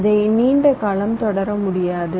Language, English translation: Tamil, you cannot continue this for long